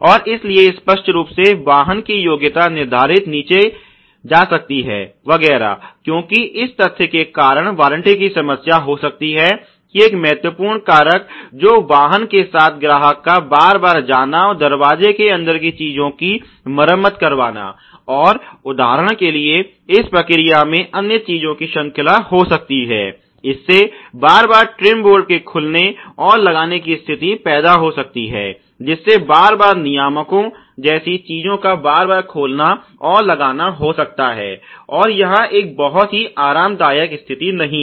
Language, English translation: Hindi, And so obviously, the rating of the vehicle etcetera can go down, because of this in fact there can be a warranty issue a major critical fact factor in the automotive with customer as to again and again go and get things repaired inside the door ok, and it may lead to chain of other things in the process for example, it may lead to the opening and closing of the trim boards again and again it may lead to the mounting and taking out of things like regulators again and again, and it is not a very comfortable situation ok